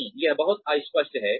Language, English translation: Hindi, No, that is very vague